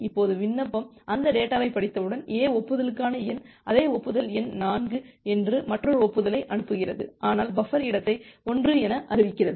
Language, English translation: Tamil, Now once the application has read that data, A sends another acknowledgement saying that the acknowledgement number the same acknowledgement number 4, but announcing the buffer space as 1